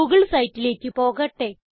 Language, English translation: Malayalam, Lets go to the google site